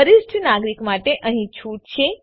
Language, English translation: Gujarati, Who is a senior citizen